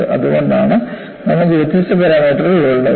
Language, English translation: Malayalam, That is a reason, why you have different parameters